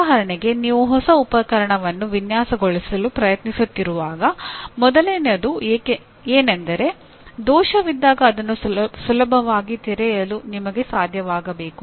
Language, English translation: Kannada, For example when you are trying to design a new equipment, first thing is you should be able to readily open that when there is a fault